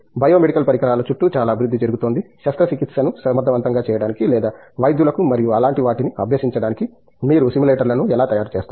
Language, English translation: Telugu, There is lot of development happening around bio medical devices, how do you make simulators for making a surgery efficient or making giving practice to the doctors and things like that